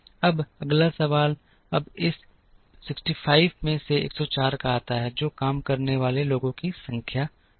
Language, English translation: Hindi, Now, the next question is now the 104 comes out of this 65 which is the number of people who are working